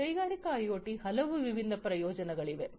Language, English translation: Kannada, There are many different uses of Industrial IoT